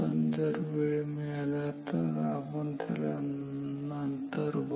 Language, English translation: Marathi, If time permits we will discuss it later